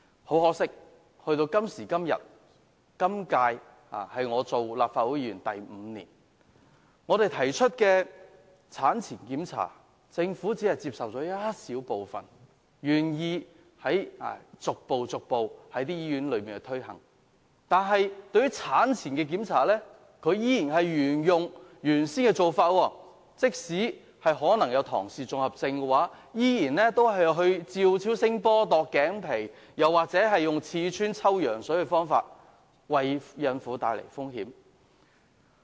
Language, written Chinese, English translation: Cantonese, 很可惜，今年是我第五年擔任立法會議員，但我們提出的產前檢查建議，政府只接受了當中一小部分，逐步在醫院推行，但卻仍源用之前的做法，例如檢驗胎兒是否患有唐氏綜合症，仍然使用照超聲波、度頸皮或刺穿抽羊水的方法，為孕婦帶來風險。, This is my fifth year as a Legislative Council Member and to my regret the Government has only accepted a small part of our proposals on antenatal examination and is gradually implementing them in hospitals . However some old practices are still adopted . For example in examining the babys risk for Down syndrome the method of ultra - sound nuchal translucency screening or the invasive procedure of amniocentesis are used which would increase the risk of pregnant women